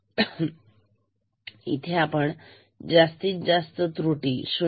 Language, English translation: Marathi, So, here you see the maximum error is 0